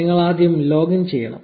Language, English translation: Malayalam, Of course, you need to login first